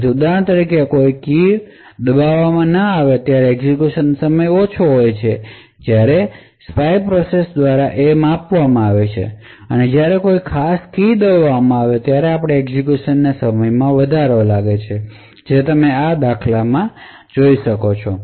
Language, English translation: Gujarati, So, for example when no keys are pressed the execution time which is measured by the spy process is low and when a particular key is pressed then we see an increase in the execution time as you see in these instances